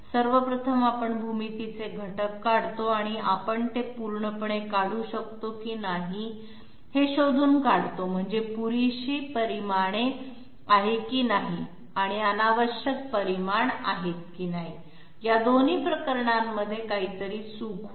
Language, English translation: Marathi, First of all we draw the geometry elements and find out whether we are able to draw it completely that means whether there is adequate dimensions and also whether there is you know redundant dimensions, in both of those cases there will be something wrong